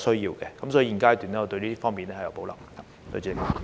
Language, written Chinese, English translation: Cantonese, 因此，現階段我對這方面有保留。, Therefore at this stage I have reservations in this regard